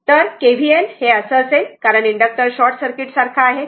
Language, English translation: Marathi, So, if you apply KVL like this because inductor is acting as short circuit